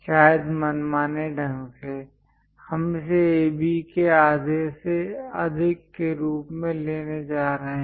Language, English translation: Hindi, Perhaps arbitrarily, we are going to pick this one as the greater than half of AB